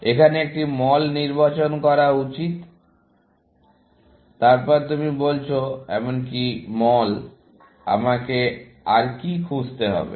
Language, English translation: Bengali, Whereas here, one should choose the mall, then you are saying, even the mall; what else should I search for